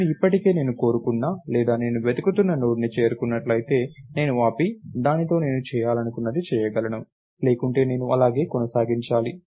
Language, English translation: Telugu, If I already reached the Node that I wanted or that I was searching for, I can stop and do whatever I want to do with it, otherwise I have to keep going along, right